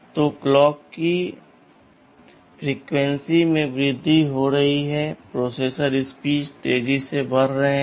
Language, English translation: Hindi, So, the clock frequencies are increasing, the processors are becoming faster